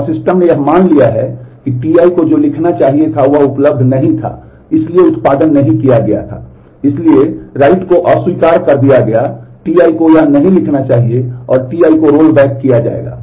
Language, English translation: Hindi, And the system assumed that what the T i was supposed to write was not available was not produced, hence the write operation is rejected T i does not should not write this and T i will be rolled back